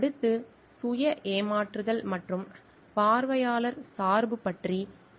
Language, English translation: Tamil, Next we will discuss about self deception versus observer bias